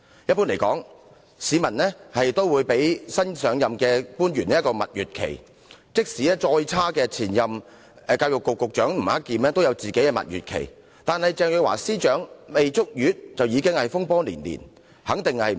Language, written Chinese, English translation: Cantonese, 一般來說，市民都會給予新上任官員一段蜜月期，即使更差的前任教育局局長吳克儉亦享有蜜月期，但鄭若驊司長卻上任不足一個月便已經風波連連。, Generally speaking members of the public would allow newly appointed public officers to enjoy a honeymoon period . Even former Secretary for Education Eddie NG whose performance was much worse had a honeymoon period . Ms CHENG however has been dogged by controversies after taking office for less than one month